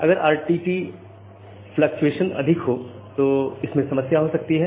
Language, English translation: Hindi, So, in case your RTT fluctuation is high you may lead to a problem